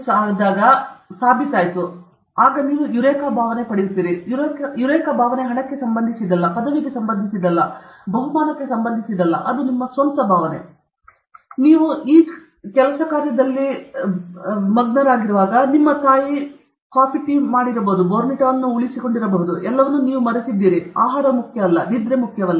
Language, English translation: Kannada, S proved okay; then you get the Eureka feeling okay; that Eureka feeling is not related to money, is not related to degree, it is not related to prize, that is your own feeling; at that time your mother might have kept Bournvita, all that you forgot, all that, even food was not important, sleep was not important